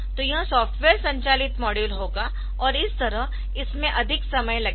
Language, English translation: Hindi, So, it will be software driven module, so that way it will take more time ok